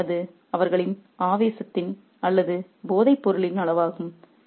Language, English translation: Tamil, So, that is the extent of their obsession or addiction